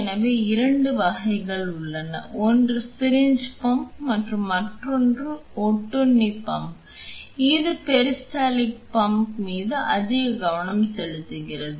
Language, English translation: Tamil, So, there are 2 types; one is the syringe pump and the other one is a parasitic pump, focusing more on the peristaltic pump here